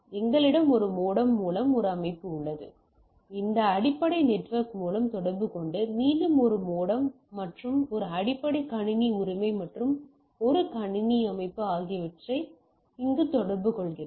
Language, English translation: Tamil, So, we have a system through a modem, it communicates through this basic network and communicates here again a modem and a basic system right and a computing system